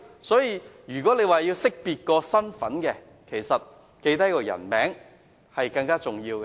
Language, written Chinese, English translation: Cantonese, 所以，如要識別身份，記下姓名其實更為重要。, Thus for identification purpose it is in fact more important to take down the name